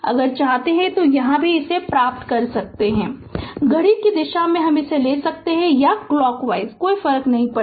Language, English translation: Hindi, If you want here also to get this here also, you can make it you can take clockwise, or anticlockwise it does not matter